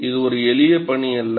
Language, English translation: Tamil, It is not a simple task